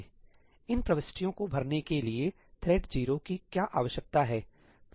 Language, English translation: Hindi, What does thread 0 need to fill up these entries